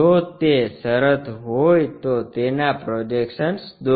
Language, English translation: Gujarati, If that is the case draw its projections